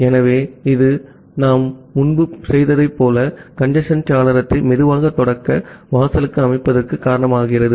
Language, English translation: Tamil, So, this causes setting the congestion window to the slow start threshold, as we have done earlier